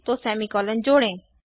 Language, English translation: Hindi, So let us add a semicolon